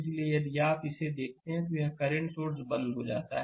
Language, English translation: Hindi, So, if you come to this look this your this current source is switched off